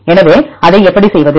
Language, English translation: Tamil, So, how to do that